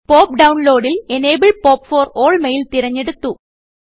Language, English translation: Malayalam, In the POP download, I have selected Enable POP for all mail